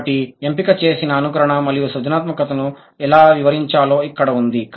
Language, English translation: Telugu, So, here is that how to account for the selective imitation and creativity